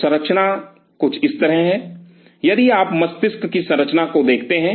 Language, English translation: Hindi, So, the structure is something like this, if you look at the structure and of the brain